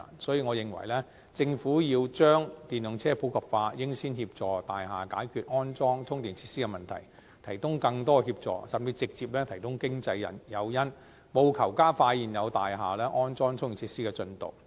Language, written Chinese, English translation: Cantonese, 所以，我認為政府要將電動車普及化，應先協助大廈解決安裝充電設施的問題，提供更多協助，甚至直接提供經濟誘因，務求加快現有大廈安裝充電設施的進度。, Therefore I think that if the Government wants to popularize EVs it should help the buildings in the first place to resolve the issues of installing charging facilities and provide more assistance or even provide financial incentives directly in order to expedite the progress of installing charging facilities for existing buildings